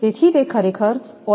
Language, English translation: Gujarati, So, it is actually oil duct